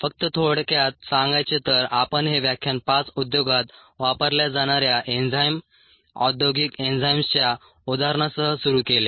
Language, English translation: Marathi, ah, just to summaries, we ah started this lecture five with ah examples of enzymes being use in the industry ah, industrial enzymes